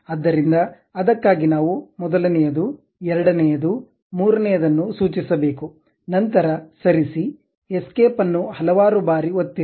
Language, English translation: Kannada, So, for that we have to specify somewhere like center, first one, second one, third one, then move, press escape several times